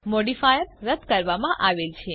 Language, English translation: Gujarati, The modifier is removed